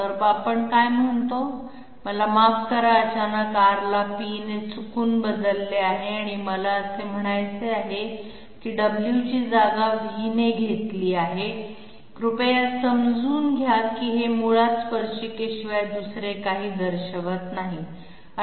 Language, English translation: Marathi, So what we say is, I am sorry suddenly R have been replaced by p by mistake and I mean w has been replaced by v, please understand that this basically represents nothing else but the tangent